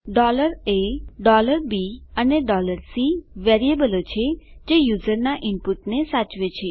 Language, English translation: Gujarati, $a, $b and $c are variables that store user input